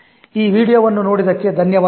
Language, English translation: Kannada, Thank you for watching this video